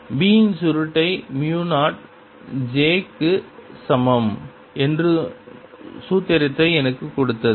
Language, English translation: Tamil, and the formula gave me that curl of b was equal to mu zero j